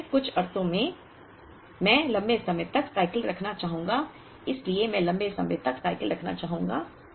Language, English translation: Hindi, And then, in some sense I would like to have longer cycles so, I would like to have longer cycles